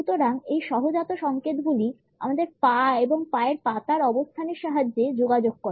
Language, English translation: Bengali, So, these instinctive signals are communicated with a help of our legs and the positioning of the feet